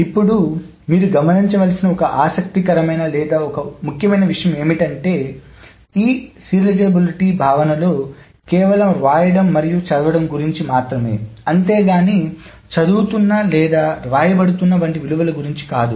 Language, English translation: Telugu, Now, one interesting thing or one important thing that you must have noticed is that these serializability notions are just concerned about the right and read, but not the values that is being read or right